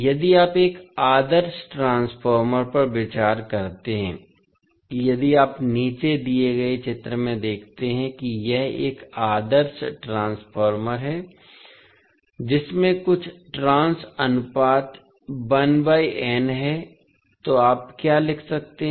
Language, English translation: Hindi, If you consider an ideal transformer, if you see in the figure below it is an ideal transformer having some trans ratio 1 is to n, so what you can write